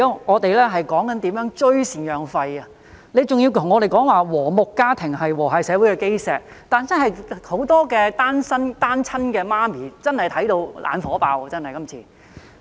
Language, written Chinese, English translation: Cantonese, 我們現在說的是如何追討贍養費，局長還要跟我們說"和睦家庭是和諧社會的基石"，很多單親媽媽真的看到"眼火爆"。, We are now talking about how to recover maintenance payments but the Secretary is still telling us that family harmony is the foundation of a harmonious community . Many single mothers are really infuriated at the reply